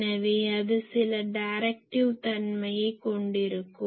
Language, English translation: Tamil, So, that will have some directive nature